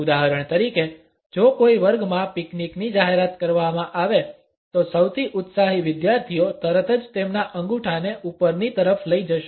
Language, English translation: Gujarati, For example, if a picnic is to be announced in a class the most enthusiastic students would immediately move their toes upward